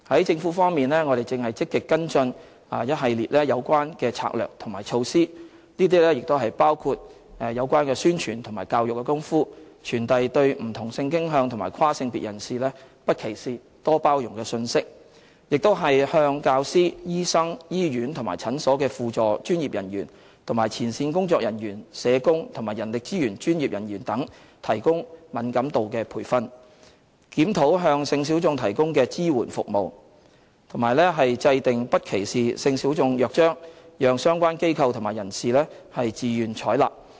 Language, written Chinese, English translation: Cantonese, 政府方面，我們正積極跟進一系列有關的策略及措施，包括宣傳和教育的工夫，傳遞對不同性傾向及跨性別人士"不歧視、多包容"的信息；向教師、醫生、醫院和診所的輔助專業人員及前線工作人員、社工及人力資源專業人員等提供敏感度培訓；檢討向性小眾提供的支援服務，以及制訂不歧視性小眾約章，讓相關機構及人士自願採納。, As for actions taken by the Government we are actively following up on a series of strategies and measures in this respect which include making publicity and education efforts to communicate the message of eliminate discrimination embrace inclusion towards people of different sexual orientation and gender identity; providing sensitivity training for teachers medical practitioners associated professional and frontline workers in hospitals and clinics social workers and human resources professionals; reviewing the support services provided to the sexual minorities; and drawing up a charter on non - discrimination of sexual minorities for voluntary adoption by organizations and individuals